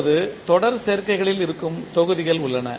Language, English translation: Tamil, Now there are the blocks which may be in series combinations